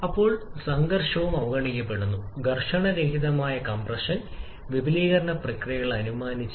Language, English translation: Malayalam, Then friction is also neglected, frictionless compression and expansion processes are assumed